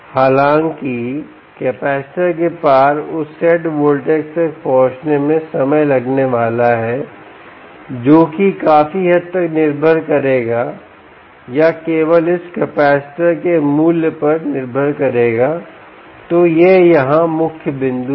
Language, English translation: Hindi, however, it is going to take time to reach that ah set voltage across the capacitor, which would largely dependent, or only depend, on the value of this capacitor, right